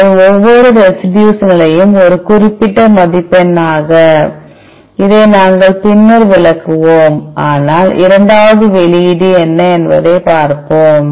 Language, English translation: Tamil, So, each residue position as a particular score, we will interpret this later, but we will let us look into the, what is the second output